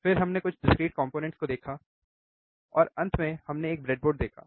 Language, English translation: Hindi, Then we have seen some discrete components and finally, we have seen a breadboard